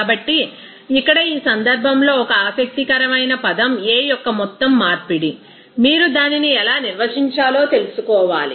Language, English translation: Telugu, So, here in this case one interesting term that you have to know that overall conversion of the A, how you define it